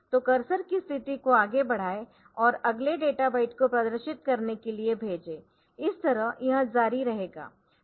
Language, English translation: Hindi, So, once the cursor position and send the next data byte to be displayed so that way it it will continue